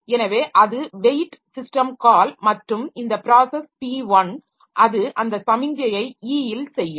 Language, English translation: Tamil, So, that is the weight system call and this process P1, so it will be doing that signal on the E